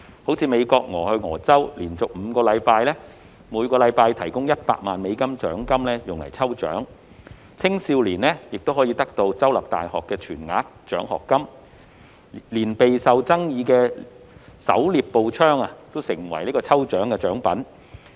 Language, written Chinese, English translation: Cantonese, 例如美國俄亥俄州連續5星期每周提供100萬美元獎金用於抽獎，青少年可獲得州立大學的全額獎學金，連備受爭議的狩獵步槍也成為抽獎獎品。, For instance the State of Ohio of the United States has been providing US1 million every week for a lucky draw for five consecutive weeks; youngsters may receive full scholarships from state universities; even the controversial hunting rifles have become prizes of the lucky draw